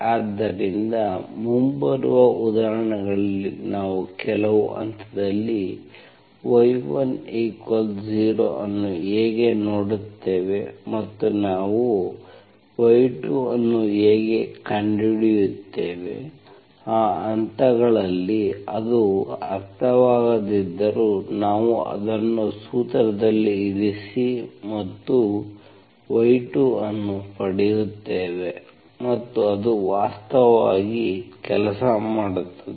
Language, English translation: Kannada, So this is how we will see in the examples when y1 is 0 at some point and how do we find y2, even though it makes sense, it does not make sense at those points, we will just put it in the formula and get your y2 so that actually works, okay